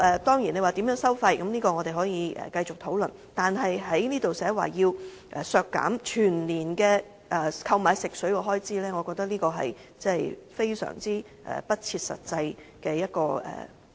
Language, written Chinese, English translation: Cantonese, 當然，在收費方面我們可以繼續討論，但在修正案提出削減全年購買食水的開支，我覺得是非常不切實際的。, Certainly we may continue to discuss the relevant charges; but then in my view the amendment proposal on cutting the estimated annual expenditure for purchasing drinking water is very unrealistic